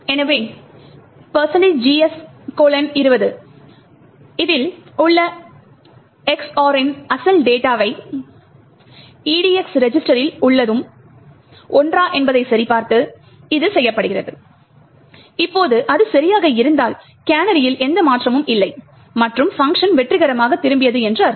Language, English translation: Tamil, So, this is done by checking whether the EX OR of the original data present in GS colon 20 is the same as that in the EDX register, it would that the now if it is the same it would mean that there is no change in the canary and the function return successfully